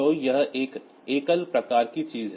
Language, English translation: Hindi, So, this is a single bit sort of thing